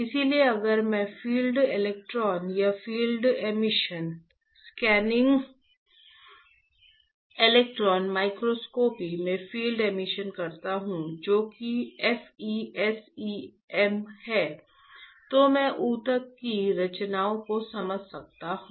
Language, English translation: Hindi, So, if I do field electron or field emission, Field Emission in Scanning Electron Microscopy which is FESEM, then I can understand the structure of the tissue